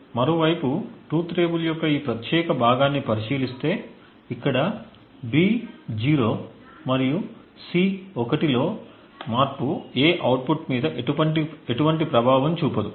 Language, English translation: Telugu, On the other hand if we look at this particular part of the truth table, where B is 0 and C is 1 the change in A has no effect on the output